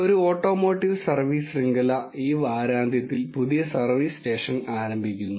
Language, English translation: Malayalam, An automotive service chain is launching its grand new service station this weekend